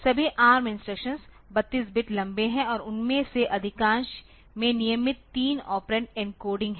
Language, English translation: Hindi, All ARM instructions are 32 bit long and most of them have a regular 3 operand encoding